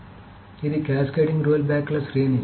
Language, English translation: Telugu, So this is a series of cascading rollbacks